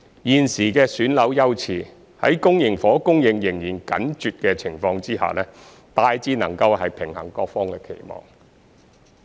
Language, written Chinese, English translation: Cantonese, 現時的選樓優次，在公營房屋供應仍然緊絀的情況下，大致能平衡各方期望。, The current flat selection priority can basically strike a balance among the expectations of various parties despite the tight supply of public housing